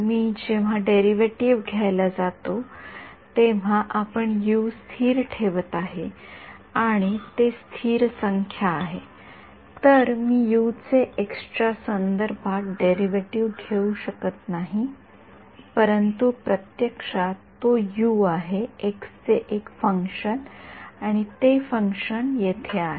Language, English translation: Marathi, But when I go to take the derivative are we keeping U to be constant or if I if it is a number then it is a constant I cannot take the derivative with respect to x for U, but actually it is U is a function of x and that function is here